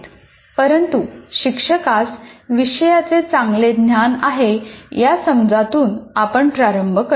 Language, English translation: Marathi, But we start with the assumption that the teacher has a good knowledge of subject matter